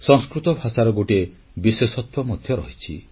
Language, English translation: Odia, This has been the core speciality of Sanskrit